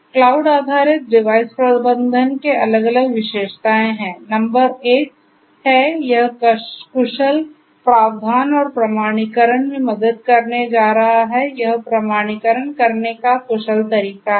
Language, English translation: Hindi, Cloud based device management has different features; number 1 is, it is going to help in efficient, provisioning; provisioning and authentication, efficient way of doing it authentication